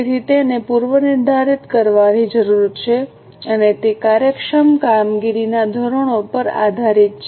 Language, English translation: Gujarati, So, it needs to be pre determined and it is based on the standards of efficient operations